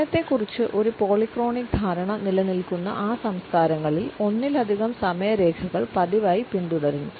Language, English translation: Malayalam, In those cultures where a polychronic understanding of time is prevalent, multiple timelines are routinely followed